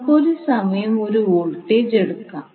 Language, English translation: Malayalam, Now let us take one voltage at a time